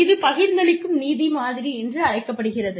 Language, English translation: Tamil, One is called, the distributive justice model